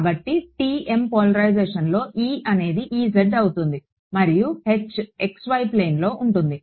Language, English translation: Telugu, So, in TM polarization E is force to be E z and H is in xy plane